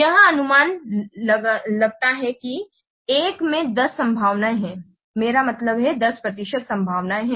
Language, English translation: Hindi, It estimates that there is a one in 10 chances, I mean what 10% chances of happening this